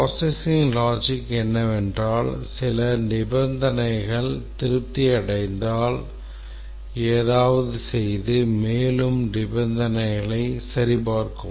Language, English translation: Tamil, The processing logic is in terms of if certain conditions are satisfied, then do something and check for further conditions and so on